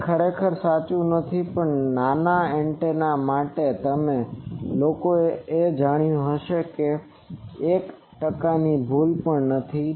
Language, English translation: Gujarati, Now, that is not actually true but for small antennas it is you may people have found out that it is not even one percent error